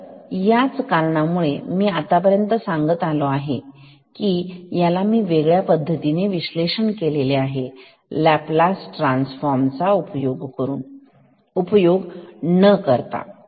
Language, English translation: Marathi, So, that is why I have told this and until this in I will explain this in a different way as well without using Laplace transform ok